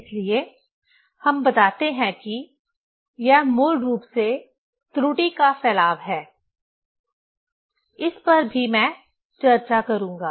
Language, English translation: Hindi, So, we tell this is basically propagation of error, that also I will discuss